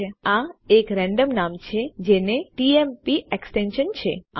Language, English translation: Gujarati, You can see that this is a randomly generated name that has a tmp extension